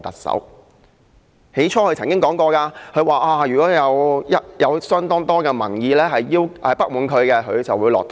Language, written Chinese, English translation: Cantonese, 她曾說如果有相當多的民意表示不滿，她會下台。, She once remarked that if there were a large number of people expressing dissatisfaction about her she would step down